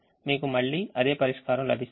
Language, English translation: Telugu, you get the same solution